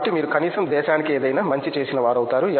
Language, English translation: Telugu, So, that you at least do something good for the country